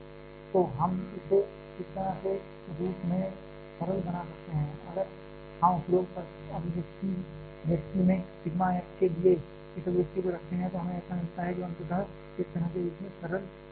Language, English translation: Hindi, So, by we can simplify this as a form like this, if we put this expression for sigma f in a above expression then we get like this which finally simplifies to a form like this